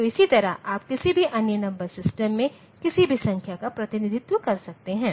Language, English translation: Hindi, So, the same way, you can represent any number in any other number system